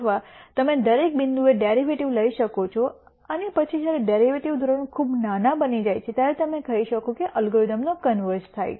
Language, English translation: Gujarati, Or you could take the derivative at every point and then when the derivative norm becomes very small you could say the algorithm converges